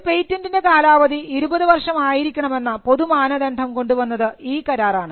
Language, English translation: Malayalam, It brought a common standard that the term of a patent shall be 20 years from the date of application